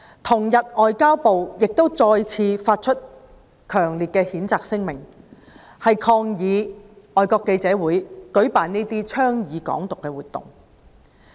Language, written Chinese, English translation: Cantonese, 同日，外交部再次發出強烈的譴責聲明，抗議外國記者會舉辦這項倡導"港獨"的活動。, On the same day MFA issued another strongly - worded condemnation statement in protest against FCCs holding of this event advocating Hong Kong independence